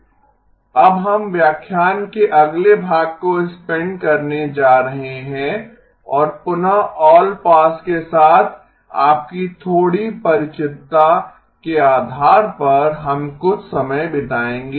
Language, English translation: Hindi, Now we are going to spend the next portion of the lecture and a bit depending on again your familiarity with allpass, we will spend some amount of time